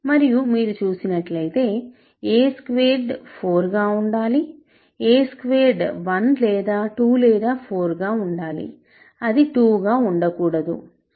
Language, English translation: Telugu, And a immediately you see that a squared has to be 4, a squared has to be either 1 or 2 or 4, it cannot be 2